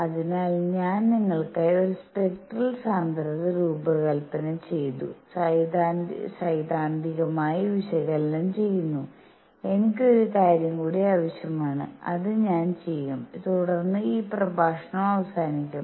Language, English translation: Malayalam, So, I have designed a spectral density for you and theoretically analysis, I will need one more thing and that is I will do that and then this lecture gets over